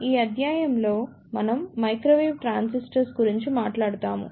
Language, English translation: Telugu, In this lecture, we will talk about Microwave Transistor